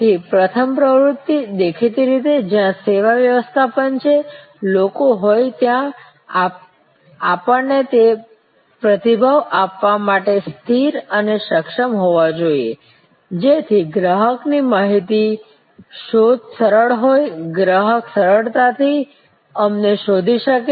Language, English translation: Gujarati, So, the first activity; obviously, where a service management people we have to be stable and able to provide that response, so that the customer's information search is easy, the customer can easily find us